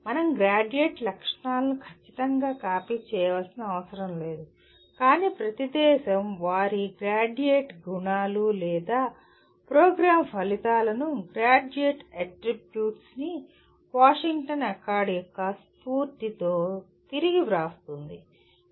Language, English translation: Telugu, We do not have to exactly copy the Graduate Attributes, but each country will rewrite their Graduate Attributes or program outcomes in the spirit of Graduate Attributes of Washington Accord